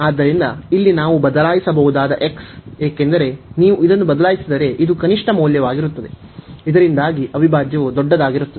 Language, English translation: Kannada, So, here the x we can replace, because this is the minimum value if you replace this one, so that the integral will be the larger one